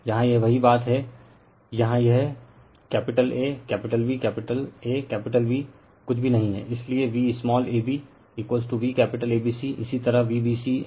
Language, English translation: Hindi, here it is same thing here it is capital A, capital B, capital A, capital B nothing is there in the line, so V small ab is equal to V capital ABC similarly for V bc angle VCL right